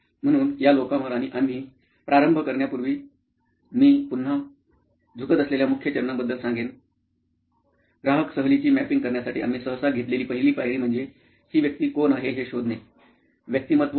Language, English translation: Marathi, So over to these people and for before we start that I will tell you the major steps, just again recap; is the first step that we normally involve in customer journey mapping is to know who this person is: persona